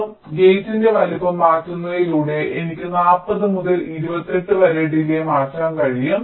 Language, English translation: Malayalam, so you see, just by changing the size of the gate, i can change the delay from forty to twenty eight